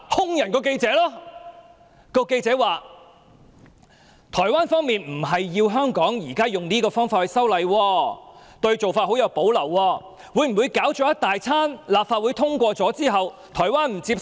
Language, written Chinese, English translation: Cantonese, 該名記者表示，台灣方面並非要求香港以現時這種方法修例，他們對這做法甚有保留，會否經一番折騰後，立法會通過《條例草案》後，台灣卻不接受？, The reporter said that Taiwan did not ask Hong Kong to amend the laws with this approach and it had great reservations about it . Is it possible that after making all the effort Taiwan will not accept the Bill after its passage in the Legislative Council?